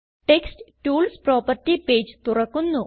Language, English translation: Malayalam, Text tools property page opens